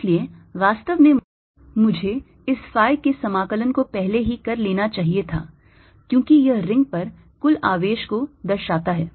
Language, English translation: Hindi, so i actually i should have carried out this phi integration already, because this indicates the total charge on the ring